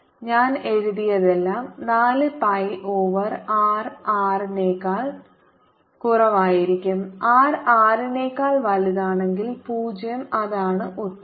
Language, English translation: Malayalam, all that that i have written is going to be four pi over r for r less than r and zero for r greater than r, and that's the answer